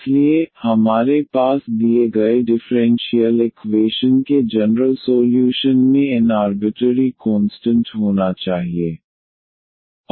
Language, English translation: Hindi, So, we must have n arbitrary constant in the general solution of the given differential equation here